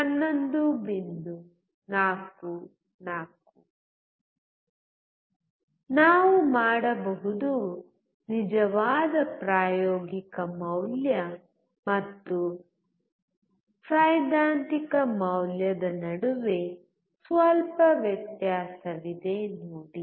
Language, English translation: Kannada, 44 We can see there is a little bit difference between the actual experimental value and the theoretical value